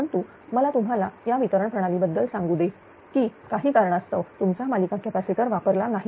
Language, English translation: Marathi, But let me tell you in distribution system that your series capacitors are not being used due to some reason